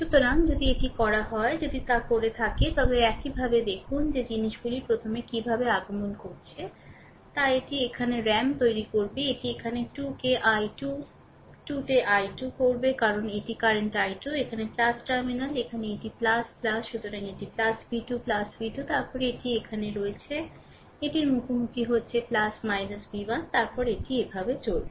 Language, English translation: Bengali, So, if you do so, if you do so, this way then look how things are coming first it will be your I am making it here say 2 into i 2, 2 into i 2 because this is the current i 2 here plus terminal here this is plus